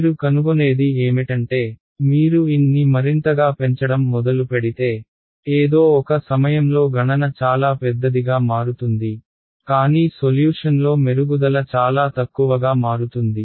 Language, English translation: Telugu, What you will find is as you begin increasing N more and more and more at some point your cost of computation becomes very large , but your improvement in solution becomes very less